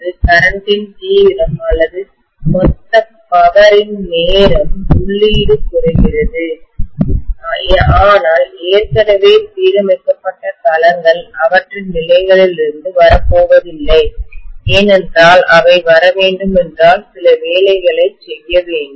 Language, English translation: Tamil, What is happening is, the intensity of the current or the total power the time inputting decreases, but already aligned domains are not going to budge from their positions because if they have to budge, they have to do some work